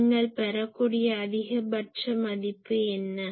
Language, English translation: Tamil, So, what is the maximum value you can get